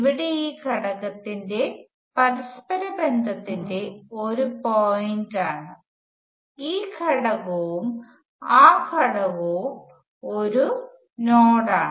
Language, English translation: Malayalam, Now this whole thing here which is a point of interconnection of this element, this element and that element is a node